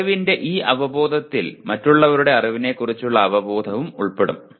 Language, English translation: Malayalam, This awareness of knowledge also will include an awareness of other’s knowledge